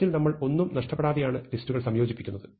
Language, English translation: Malayalam, So, one thing that we do in merge is that we actually combine the list without losing anything